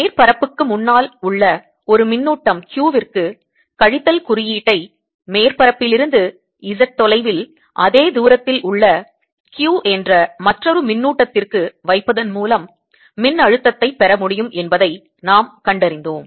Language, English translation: Tamil, and we found that the potential can be obtained by putting a minus charge, minus q charge for a charge q in front of the surface which is at a distance, z at the same distance from the surface